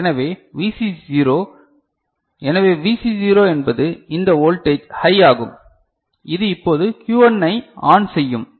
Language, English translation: Tamil, So, VC0 so, VC0 is this voltage will go high right which will make now Q1 ON ok